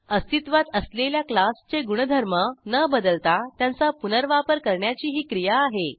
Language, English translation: Marathi, It is the process of reusing the existing class without modifying them